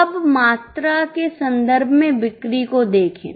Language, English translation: Hindi, Now look at the sale in terms of quantum